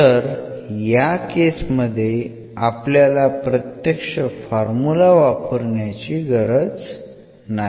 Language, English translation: Marathi, So, we do not have to use this direct formula in that case